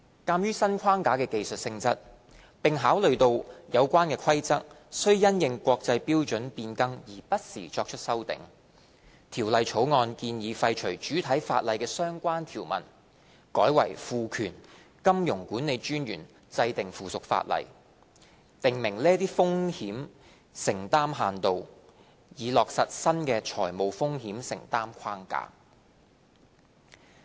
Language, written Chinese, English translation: Cantonese, 鑒於新框架的技術性質，並考慮到有關的規則須因應國際標準變更而不時作出修訂，《條例草案》建議廢除主體法例的相關條文，改為賦權金融管理專員制定附屬法例，訂明這些風險承擔限度，以落實新的財務風險承擔框架。, In view of the technical nature of the new framework and the need to update the regulatory requirements from time to time to reflect the changes in international standards the Bill proposes that the relevant sections under BO should be repealed and MA would be empowered to make rules prescribing limits on exposures incurred by AIs by way of subsidiary legislation for the implementation of the new exposure limits framework